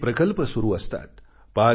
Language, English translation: Marathi, There are many projects under way